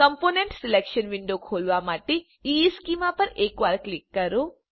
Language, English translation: Gujarati, Click once on the EESchema to open the component selection window